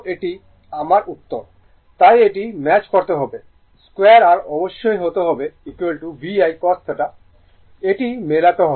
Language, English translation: Bengali, So, you have to it has to match I square r must be is equal to V I cos theta it has to match